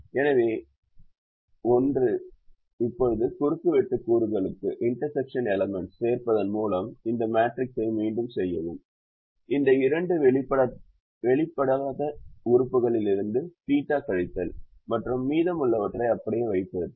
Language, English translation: Tamil, and now redo this matrix by adding theta to the intersection elements, these two, subtracting theta from the uncovered elements and keeping the rest of them as it is